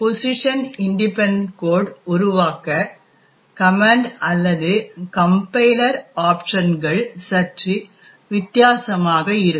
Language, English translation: Tamil, In order to generate position independent code, the command or the compiler options are slightly different